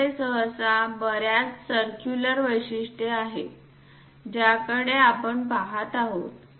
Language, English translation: Marathi, There are variety of circular features we usually see it